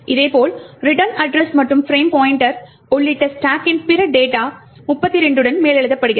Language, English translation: Tamil, Similarly the other data on the stack including the return address and the frame pointer gets overwritten with 32’s